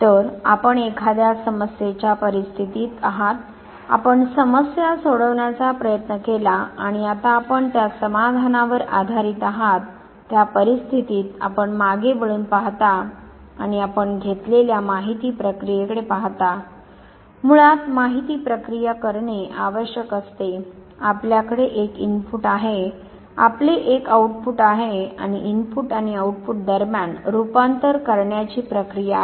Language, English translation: Marathi, So, you are in a problem situation, you try to solve the problem and now based on the solution that you have arrived in that very situation you look back and you look at the information processing that has taken place, information processing basically would require that you have an input, you have an output and between the input and the output there is a process of transformation